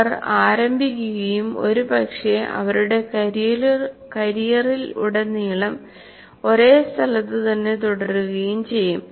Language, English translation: Malayalam, They just start and possibly almost stay at the same place throughout their career